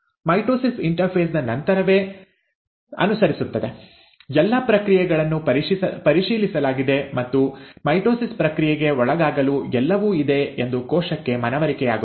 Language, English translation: Kannada, Mitosis follows right after a interphase, provided all the processes have been checked and the cell is convinced that everything is in order to undergo the process of mitosis